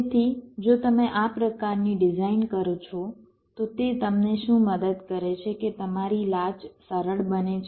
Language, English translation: Gujarati, ok, so if you do this kind of a design, what it helps you in that is that your latches becomes simpler